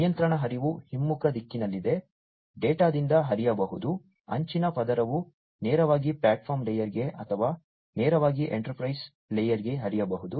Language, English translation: Kannada, The control flow is in the reverse direction, data could flow from, the edge layer to the platform layer directly, or could directly also flow to the enterprise layer